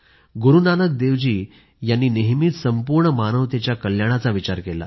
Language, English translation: Marathi, Guru Nanak Dev Ji always envisaged the welfare of entire humanity